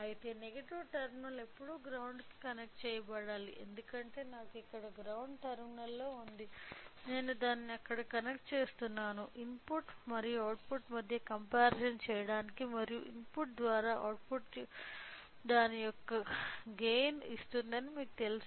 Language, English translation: Telugu, So, whereas, the negative terminal should always be connected to the ground so, since I have a ground terminal here I am connecting it there; then in order to do the comparison between input and output, and the difference you know that the output by input gives a gain of it